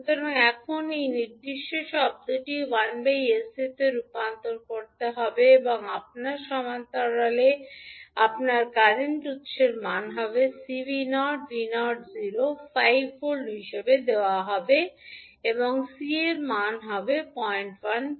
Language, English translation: Bengali, So now this particular term will be converted into 1 upon SC and in parallel with you will have current source value of C V naught, v naught is given as 5 volt, C is given 0